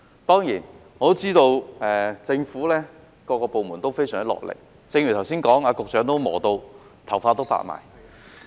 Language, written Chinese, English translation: Cantonese, 當然，我知道政府各個部門都非常努力，正如剛才說過，局長也忙得頭髮發白。, I certainly know that the various government departments have been working very hard . As mentioned just now the Secretary is so busy that his hair has turned white